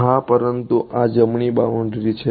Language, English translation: Gujarati, Yeah, but this is the right most boundary